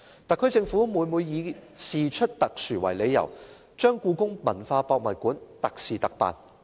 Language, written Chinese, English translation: Cantonese, 特區政府每每以事出特殊為理由，將故宮館"特事特辦"。, The SAR Government made a special arrangement for HKPM under the pretext that it was something special